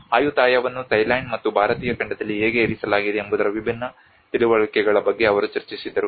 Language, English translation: Kannada, Where they discussed about different understandings of the how Ayutthaya has been positioned both in Thailand and as well as in the Indian continent